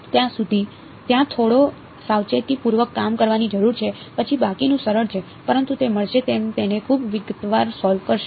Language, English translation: Gujarati, So, some amount of careful work is needed over there, then the rest is simple, but will get it you will solve it in great detail